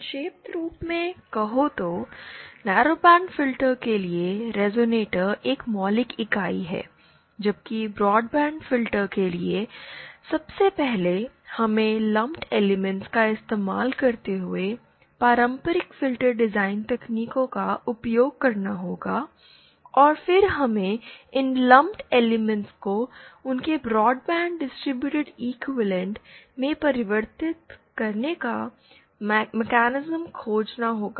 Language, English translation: Hindi, So as to summarise for narrowband filters, resonators are the fundamental entity, whereas for broadband filters, we 1st design using the traditional filter design techniques using lumped elements and then we have to find the mechanism to convert these lumped elements to their broadband to their distributed equivalent